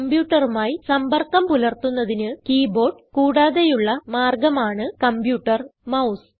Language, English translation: Malayalam, The computer mouse is an alternative way to interact with the computer, besides the keyboard